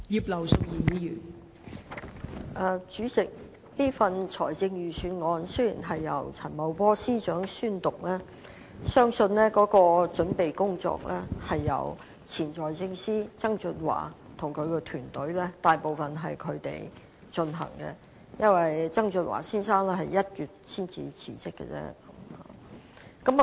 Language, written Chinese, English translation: Cantonese, 代理主席，雖然這份財政預算案是由陳茂波司長宣讀，但相信大部分的準備工作，也是由前財政司司長曾俊華及其團隊草擬的，因為曾俊華先生是在1月份才辭職。, Deputy President although the Budget is announced by Secretary Paul CHAN it is believed that most of the preparation work was drafted by the former Financial Secretary John TSANG and his team because Mr John TSANG only resigned in January